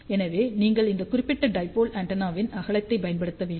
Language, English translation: Tamil, So, you have to use width of this particular dipole antenna